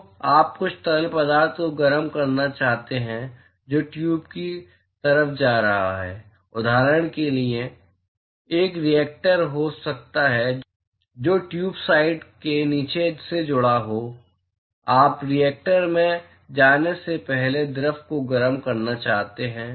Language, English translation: Hindi, So, you want to heat some fluid which is going on the tube side for example, there may be a reactor which is connected to the bottom exist of the tube side; you want to heat the fluid before it gets into the reactor